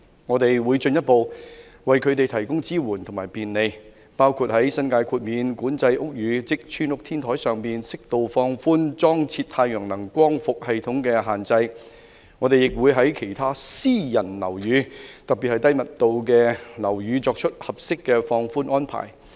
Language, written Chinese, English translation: Cantonese, 我們會進一步為他們提供支援與便利，包括在新界豁免管制屋宇，即'村屋'天台上，適度放寬裝設太陽能光伏系統的限制；我們亦會在其他私人樓宇，特別是低密度樓宇，作出合適的放寬安排。, We will further provide support and facilitation to the private sector including suitably relaxing the restrictions on installation of solar photovoltaic systems on the rooftops of New Territories Exempted Houses and making appropriate relaxations for other private buildings in particular the low - rise ones